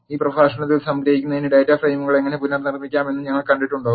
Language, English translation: Malayalam, To summarize in this lecture, we have seen how to recast the data frames